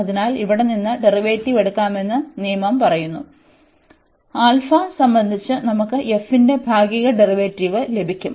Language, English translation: Malayalam, So, this rule says that we can take the derivative inside here; we will get partial derivative of f with respect to alpha